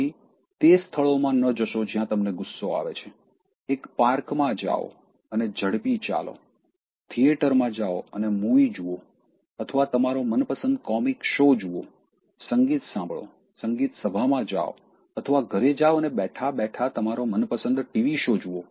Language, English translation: Gujarati, The first thing is change your environment, so don’t be in the surroundings where you are getting angry, just go to a park, take a quick walk, go to a theatre, watch a movie or your favourite comic show, listen to music, go to a musical concert or just go home sit and then watch your favourite TV show